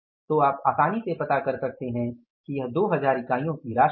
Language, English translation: Hindi, So, you can understand easily how much will it be it will come up as 2000